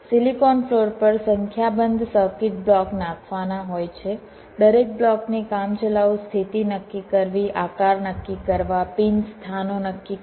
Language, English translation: Gujarati, a number of circuit block have to be laid out on the silicon floor, determine the rough position of each of the blocks, determine the shapes, determine the pin locations